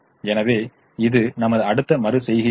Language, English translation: Tamil, so this is our next iteration